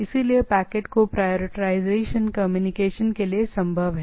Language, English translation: Hindi, So, prioritization of the packets for the communication, this is also possible